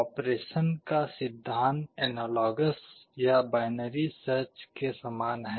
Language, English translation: Hindi, The principle of operation is analogous or similar to binary search